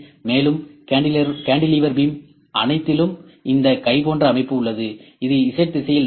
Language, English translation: Tamil, Cantilever beam can move in X direction and all these cantilever beam we have this arm that can move in Z direction